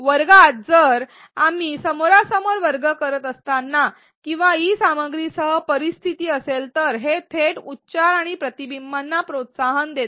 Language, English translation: Marathi, In the class room if we are doing a face to face classroom or with the e content if they if that is the scenario and it directly promotes articulation and reflection